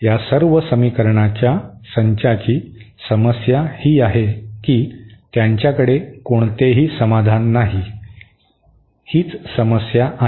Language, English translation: Marathi, The problem with all these sets of equation is that they do not have any solution, that is a problem